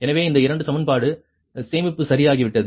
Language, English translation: Tamil, so so this two equation, save got right